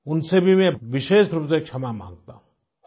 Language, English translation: Hindi, My wholehearted apologies, especially to them